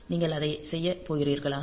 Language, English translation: Tamil, So, are you going to do that